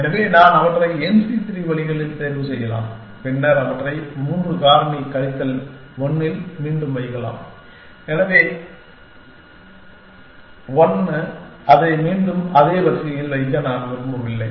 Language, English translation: Tamil, So, I can pick them in n c 3 ways and then I can put them back in 3 factorial minus 1 because, 1 I do not want to put it back in the same order